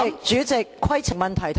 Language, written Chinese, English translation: Cantonese, 主席，規程問題。, President a point of order